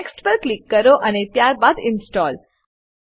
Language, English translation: Gujarati, Click on Next and then Install